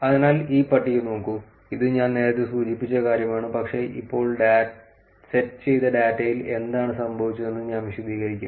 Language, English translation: Malayalam, So, just take a look at this table, this is something I mentioned earlier, but I will actually explaine what happened in the data set now